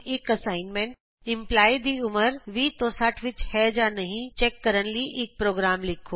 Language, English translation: Punjabi, As an assignment, Write a program to check whether the age of the employee is between 20 to 60